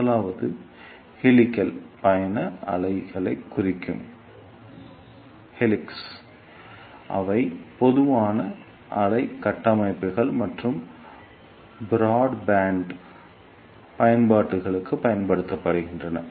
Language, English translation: Tamil, First one is helix travelling wave tubes which are slow wave structures and are used for broadband applications